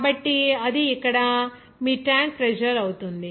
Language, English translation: Telugu, So, that will be your tank pressure here